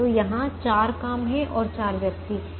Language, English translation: Hindi, so the four jobs and four persons are here